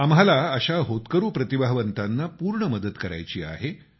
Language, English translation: Marathi, We have to fully help such emerging talents